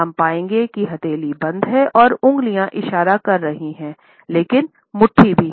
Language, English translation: Hindi, We would find that when the palm has been closed and the fingers are pointing, but the fist is also there